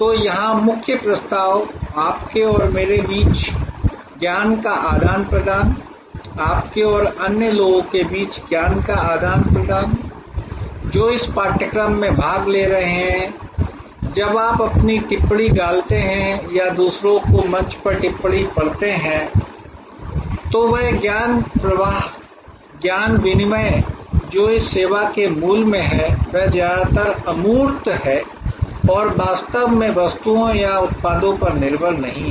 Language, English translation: Hindi, So, the core proposition here, the exchange of knowledge between you and me, exchange of knowledge between you and the others, who are participating in this course when you put your comments or read others comments on the forum, that knowledge flow, knowledge exchange which is at the core of this service is mostly intangible and is not really dependent on goods or products